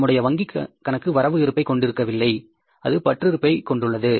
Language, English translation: Tamil, Our bank balance is not a credit balance, it is a debit balance